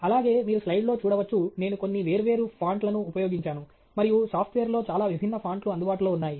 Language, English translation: Telugu, Also, you can see on the slide, I have used few different font and so there is lot of different font that is available in the software